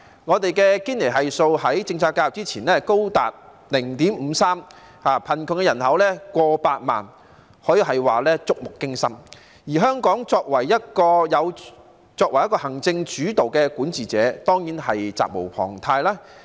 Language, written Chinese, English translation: Cantonese, 我們的堅尼系數在政策介入之前高達 0.53， 貧窮人口過百萬，這可說是觸目驚心，而香港政府作為行政主導的管治者，當然是責無旁貸。, Our Gini Coefficient was as high as 0.53 before policy intervention and our poor population was over a million . Such situation can be described as appalling and being an executive - led administration the Hong Kong Government is certainly responsible for it